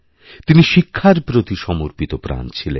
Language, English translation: Bengali, He was committed to being a teacher